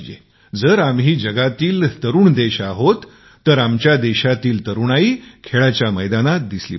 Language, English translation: Marathi, If we are a young nation, our youth should get manifested in the field sports as well